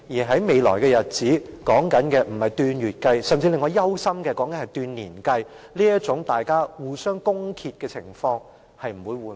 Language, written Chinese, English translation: Cantonese, 在未來的日子裏，可能是以令我憂心的年而不是以月計算，這種議員互相攻擊的情況也不會得到緩和。, What is more the attacks and counter - attacks among Members might not be abated in the days to come which might last not for months but years I am afraid